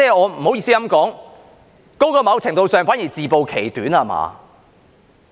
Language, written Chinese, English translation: Cantonese, 不好意思也要說，在某程度上，那反而是自暴其短，對嗎？, I am sorry but I have to ask to a certain extent is this not exposing ones shortcomings instead?